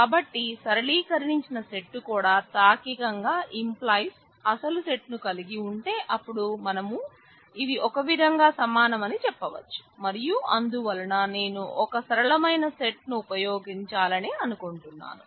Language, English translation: Telugu, So, if the simplified set also logically implies the original set, then we can say that these are in a way equivalent and therefore, I would like to use a simpler set